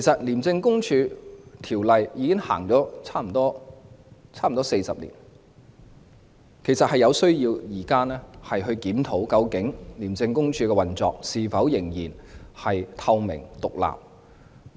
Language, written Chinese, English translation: Cantonese, 《廉政公署條例》已經實施差不多40年，實在有需要檢討廉署的運作究竟是否仍然透明和獨立。, The Independent Commission Against Corruption Ordinance has been in force for 40 years and there is a need to review whether the operation of ICAC is still transparent and independent